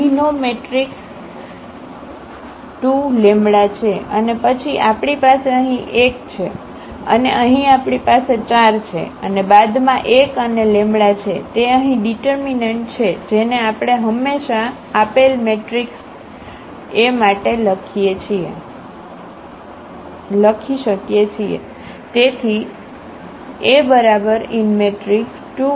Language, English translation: Gujarati, The matrix here is 2 minus lambda and then we have here 1 and here we have 4 and then minus 1 and the minus lambda, that is the determinant here which we can directly always we can read write down for this given matrix A